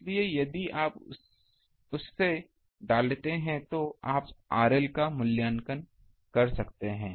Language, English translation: Hindi, So, if you put that from that you can evaluate R L